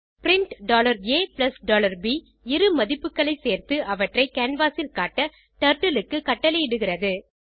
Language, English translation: Tamil, print $a + $b commands Turtle to add two values and display them on the canvas